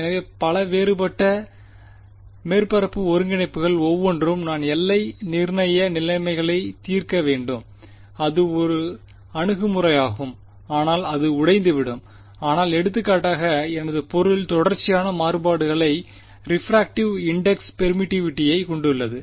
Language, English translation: Tamil, So, many different surface integrals each of those I will have to solve put boundary conditions and solve it that is one approach, but that will break down if for example, my my material has some continuous variation in refractive in refractive index permittivity whatever you want to call it right